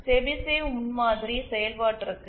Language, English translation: Tamil, Chebyshev prototype function as well